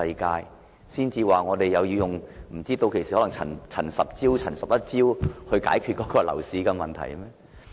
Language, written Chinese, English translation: Cantonese, 屆時可能要出"陳十招"或"陳十一招"來解決樓市問題。, By that time it might be necessary to introduce CHANs 10 measures or CHANs 11 measures to solve the property problem